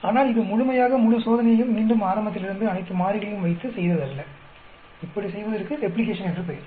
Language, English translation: Tamil, But, that is not completely repeating the entire experiment from the beginning with all the variables, that is called Replication